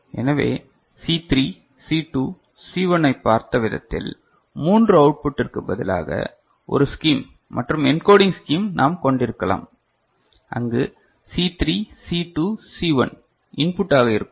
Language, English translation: Tamil, So, instead of 3 outputs the way we have seen C3 C2 C1, we can have a scheme and encoding scheme, where C3 C2 C1 are the input ok